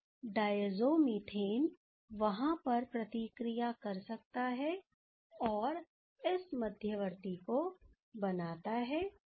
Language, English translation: Hindi, So, the diazo methane can react over there, and to give us this product sorry this intermediate that is ok